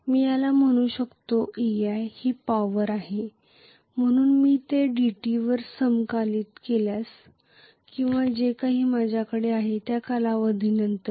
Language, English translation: Marathi, I may call this as ei is the power, so if I integrate it over dt or whatever is the time interval that I have